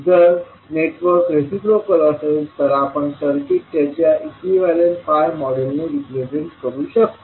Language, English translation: Marathi, So, if the circuit is, if the network is reciprocal we can represent circuit with its pi equivalent model